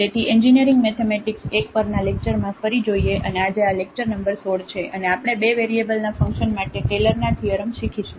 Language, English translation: Gujarati, So welcome back to the lectures on Engineering Mathematics I and today this is lecture number 16 and we will learn the Taylor’s Theorem for Functions of Two Variables